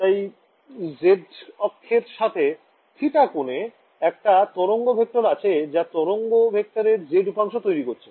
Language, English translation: Bengali, So, if I have a wave vector between angle theta with the z axis, giving me the z component of the wave vector right